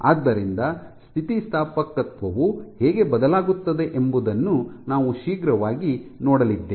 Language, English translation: Kannada, So, we quickly come and see how elasticity will change ok